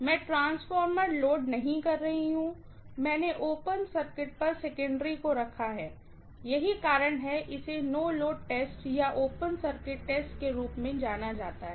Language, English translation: Hindi, I am not loading the transformer, I have kept the secondary on open circuit, that is the reason this is known as no load test or open circuit test